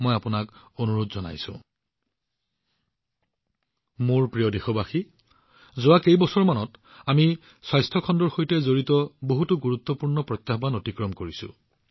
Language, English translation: Assamese, My dear countrymen, in the last few years we have overcome many major challenges related to the health sector